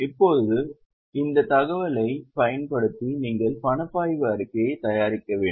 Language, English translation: Tamil, Now using this information you are required to prepare cash flow statement